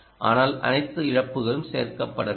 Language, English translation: Tamil, there is not include all the losses